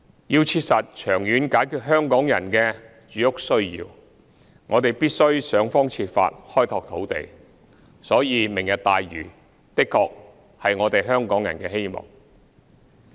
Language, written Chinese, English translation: Cantonese, 要切實長遠解決香港人的住屋需要，我們必須想方設法開拓土地，所以"明日大嶼"的確是我們香港人的希望。, To practically meet the housing needs of Hong Kong people in the long run we must take every possible means to expand land resources and thus Lantau Tomorrow is indeed the hope for us Hong Kong people